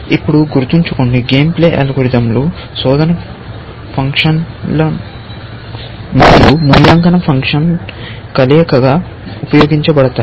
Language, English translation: Telugu, Now, remember, the game playing algorithm are used as combination of search or look ahead and evaluation function